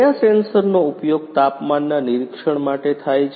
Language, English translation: Gujarati, Which sensors are used for temperature monitoring